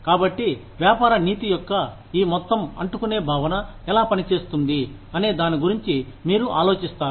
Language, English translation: Telugu, So, it would get you thinking about, how this whole sticky concept of business ethics work, works